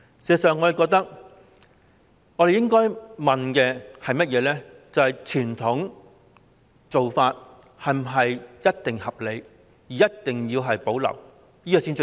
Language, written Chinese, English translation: Cantonese, 事實上，我們應該問傳統做法是否一定合理，一定要保留？, As a matter of fact we should question whether traditional practices are reasonable for sure and must be retained?